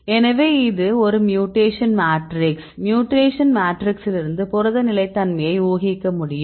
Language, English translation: Tamil, So, what can you infer from this mutation matrix like protein stability